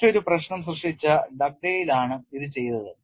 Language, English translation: Malayalam, And this was done by Dugdale who coined a different problem